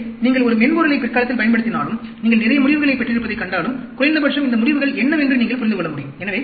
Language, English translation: Tamil, So, even if you use a software on a later date, and you find that you get lot of results, at least you will be able to understand what these results meant to be